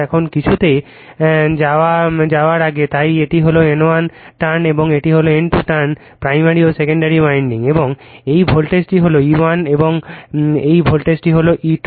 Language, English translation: Bengali, Now, before going to anything, so this is my N 1 turn and this is N 2 turn primary and secondary windings and this voltage is E 1 and this voltage is E 2, right